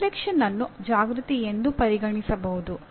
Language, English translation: Kannada, Reflection can also be considered as awareness